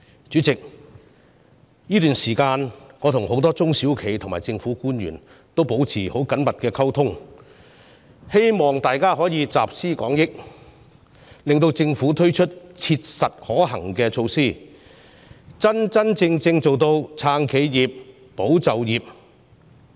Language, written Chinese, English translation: Cantonese, 主席，這段時間我跟很多中小企和政府官員保持緊密溝通，希望集思廣益，向政府建議切實可行的措施，真正做到"撐企業、保就業"的目標。, Chairman during this period of time I have maintained close communication with many SMEs and government officials in the hope of drawing on collective wisdom to suggest to the Government practicable measures for achieving the objective of support enterprises and safeguard jobs